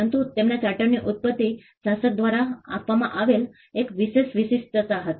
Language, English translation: Gujarati, But the origin of their charter was an exclusive privilege the given by the ruler